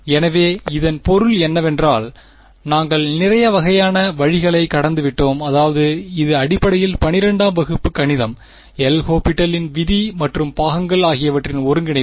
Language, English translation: Tamil, So, this is I mean we have gone through a lot of very sort of I mean this is basically class 12th math right L’Hopital’s rule and integration by parts and all of that right